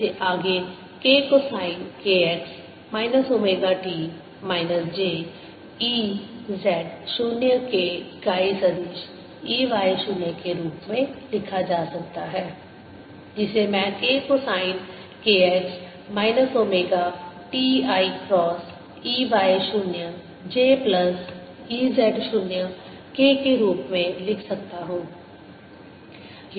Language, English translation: Hindi, this can be further written as k cosine k x minus omega t, minus j e z zero, plus k unit vector e y zero, which i can write as k cosine of k x minus omega t